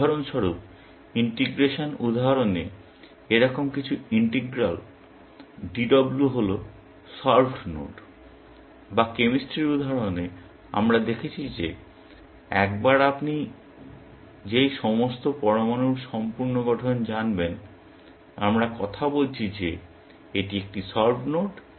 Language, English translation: Bengali, For example, in the integration example, something like, integral DW is the solved node, or in the chemistry example, we saw that once you know that complete structure of all the atoms, we are talking about, it is a solved node